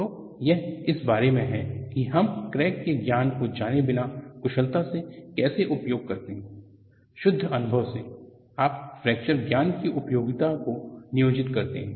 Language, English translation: Hindi, So, this is about how we efficiently use without knowing the knowledge of fracture; by purely experience, you employ the utility of fracture knowledge